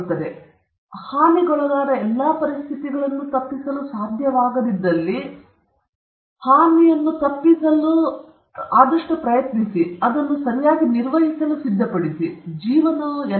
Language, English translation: Kannada, First of all, try to avoid all situations of harm wherever it is possible to avoid, and where it is not possible to avoid harm, as I mentioned earlier, one has to be prepared for managing it properly